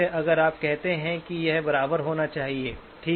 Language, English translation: Hindi, If you say that it has to be equal to, okay